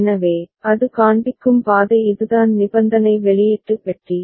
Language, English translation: Tamil, So, that is the path it is showing and this is the conditional output box